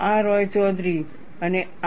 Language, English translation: Gujarati, This is by Roychowdhury and R